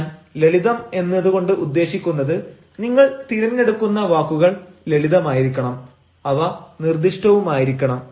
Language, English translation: Malayalam, when i say simple, i mean the choice of words has to be simple and the choice of words have to be specific